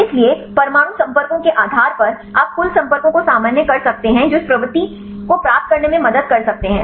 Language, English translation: Hindi, So, based on atom contacts you normalize the total number of contacts this can help, help to get this propensity